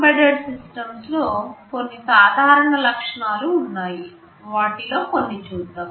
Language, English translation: Telugu, There are some common features that are present in most embedded systems, let us look at some of them